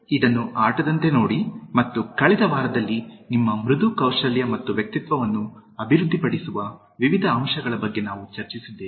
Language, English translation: Kannada, Look it at as a game, and in the last week, we discussed about various aspects of Developing your Soft Skills and Personality